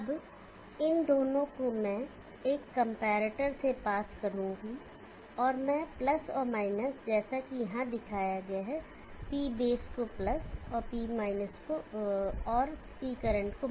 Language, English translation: Hindi, Now these two I will pass it through a comparator, and I will give the + and – as shown here P base to the + and P current to the